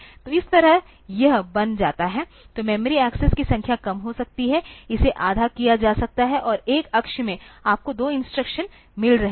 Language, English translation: Hindi, So, that way it becomes, so the number of memory accesses can be reduced, it can be halved and in one axis you are getting two instructions